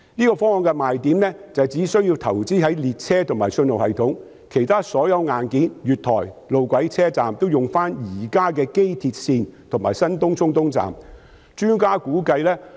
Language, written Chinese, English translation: Cantonese, 這方案的賣點是，只須投資在列車及信號系統，而其他所有硬件，例如月台、路軌及車站，皆可以使用機鐵線及新東涌東站現有的。, The selling point of this proposal is that investment is only required for additional trains and the signalling system because other hardware such as platforms tracks and stations are already available under the existing Airport Express and the newly built TCE Station